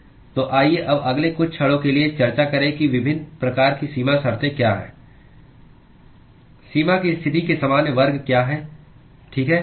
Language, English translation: Hindi, So, let us now discuss for the next few moments as to what are the different types of boundary conditions what are the general classes of boundary condition, okay